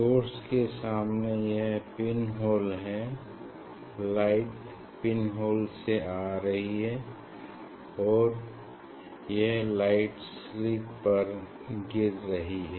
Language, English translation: Hindi, here this is the source in front of source this is the pin hole light is coming through a hole and that light is falling on a slit